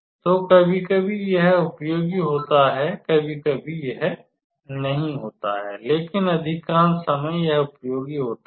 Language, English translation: Hindi, So, sometimes it is useful sometimes it is not, but most of the time it is useful